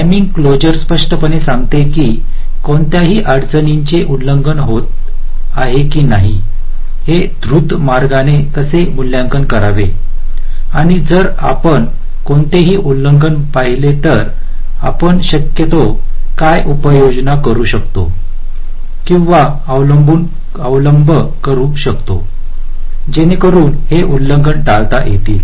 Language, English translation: Marathi, timing closer broadly says that how to evaluate, while in a fast way, whether any of the constraints are getting violated and if we see any violation, what are the measures we can possibly take or adopt so as those violations can be avoided